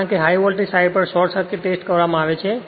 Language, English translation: Gujarati, But short circuit test in the laboratory performed on the high voltage side